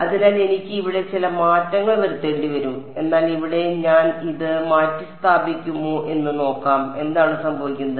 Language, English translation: Malayalam, So some change I will have to make over here, but let us see if I substitute this in here what happens